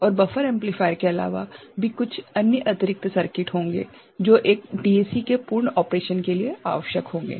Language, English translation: Hindi, And, there will be other than buffer amplifier there are some other additional circuitry that will be required for a full fledged DAC operation